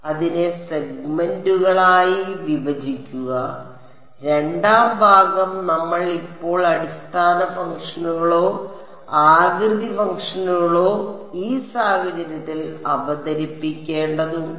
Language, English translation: Malayalam, Break it up into segments and the second part is we have to now introduce the basis functions or the shape functions in this case ok